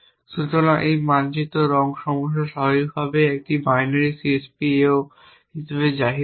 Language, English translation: Bengali, So, this map coloring problem is naturally pose as a binary CSP ao